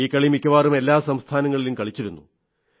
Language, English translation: Malayalam, It used to be played in almost every state